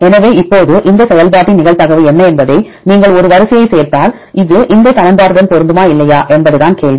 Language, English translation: Tamil, So, now, the question is if you add one sequence what is the probability of this function F right whether this will fit with this equation or not